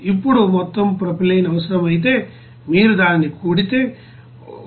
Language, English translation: Telugu, Now total propylene then required if you sum it up, you will get it to 184